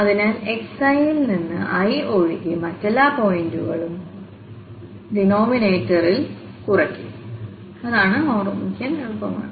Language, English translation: Malayalam, So, except that i from this xi all other points will be subtracted in the denominator that is what it is easy to remember